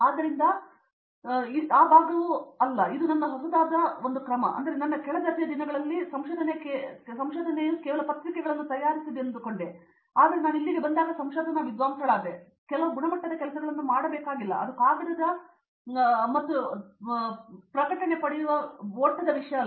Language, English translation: Kannada, So, that this part it was not, which was something new to me that OK, in my under grade days I was like ok research means just to produce papers and that’s all, but over here when I came to became a research scholar, then it was like no we have to get some quality work also done, it’s not just the race of getting paper and all